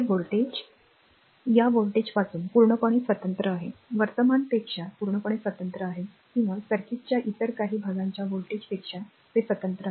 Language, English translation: Marathi, The voltage is completely independent of this voltage is completely independent of the current right or it is independent of the voltage of some other parts of the circuit right